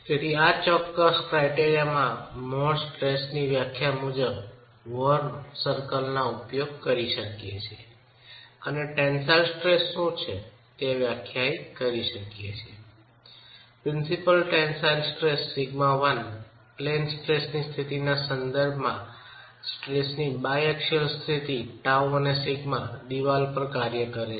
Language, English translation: Gujarati, So, in this particular criterion, we can then use the more stress definition, the more circle and define what the tensile stress, the principal tension sigma 1 is with respect to the state of plane stress, the biaxial state of stress, tau and sigma acting on the wall